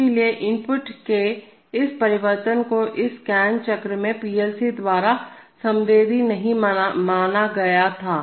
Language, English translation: Hindi, So therefore, this change of the input was not sensed by the PLC in this scan cycle